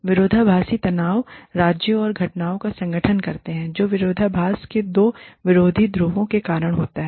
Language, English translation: Hindi, Paradoxical tensions constitute the states and phenomena, caused by the two opposing poles of paradoxes